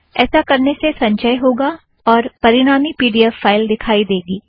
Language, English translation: Hindi, It will compile and the resulting pdf file is displayed